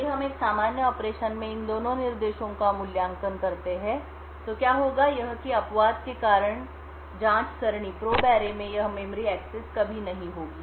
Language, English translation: Hindi, If we evaluate these two instructions in a normal operation what would happen is that due to the raise exception this memory access to the probe array would never occur